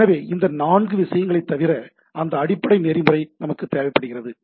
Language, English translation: Tamil, So this four thing apart from that we require that underlying protocol